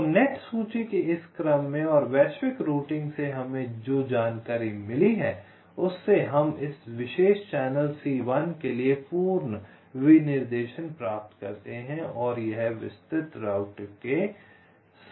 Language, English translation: Hindi, so from this sequence of net list and the information we have obtained from global routing, we obtain the complete specification for c one, for this particular channel, c one, and this is with respect to detailed router